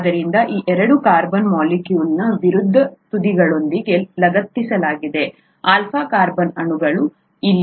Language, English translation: Kannada, So, these two are attached with the opposite ends of the carbon molecule, the alpha carbon molecule, here